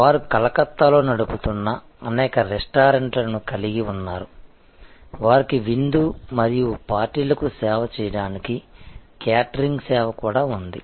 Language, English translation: Telugu, They have number of restaurants, which they run in Calcutta; they also have catering service to serve banquettes and parties and so on